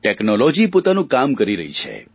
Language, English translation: Gujarati, Technology is at work